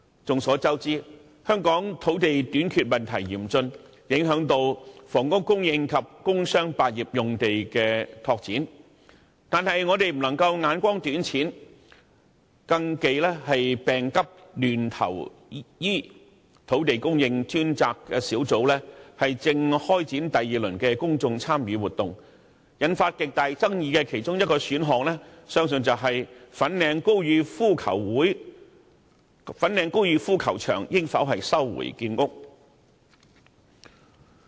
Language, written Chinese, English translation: Cantonese, 眾所周知，香港土地短缺問題嚴峻，影響房屋供應及工商百業用地的拓展，但我們不能目光短淺，更忌病急亂投醫，土地供應專責小組正開展第二輪的公眾參與活動，引發極大爭議的其中一個選項，相信便是粉嶺高爾夫球場應否收回建屋。, The Task Force on Land Supply is currently launching the second round of public engagement exercise . One of the most contentious options I believe is whether the Government should recover Fanling Golf Course for housing development . In Hong Kong many members of the public are golf - lovers and many young people are learning to play golf